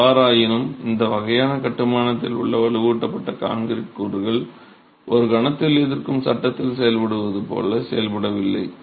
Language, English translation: Tamil, However, the reinforced concrete elements in this sort of a construction are really not meant to behave as it would in a moment resisting frame